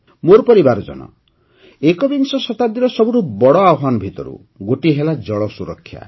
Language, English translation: Odia, My family members, one of the biggest challenges of the 21st century is 'Water Security'